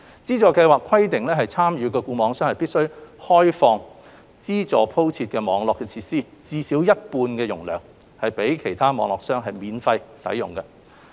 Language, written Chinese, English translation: Cantonese, 資助計劃規定參與的固網商必須開放獲資助鋪設的網絡設施至少一半的容量予其他固網商免費使用。, The Subsidy Scheme requires participating FNOs to open up at least half of the capacity of the subsidized network facilities for free use by other FNOs